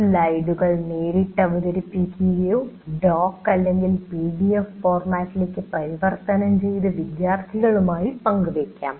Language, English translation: Malayalam, The slides presented can also be converted into a doc or a PDF format and shared with the computer, with the students